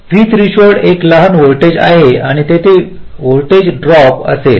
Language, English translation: Marathi, v threshold is a small voltage and there will be a voltage drop